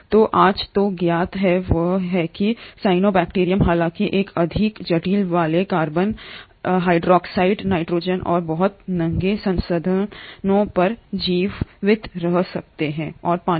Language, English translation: Hindi, So in what is now known today is that the cyanobacterium although one of the more complex ones, can survive on very bare resources like carbon dioxide, nitrogen and water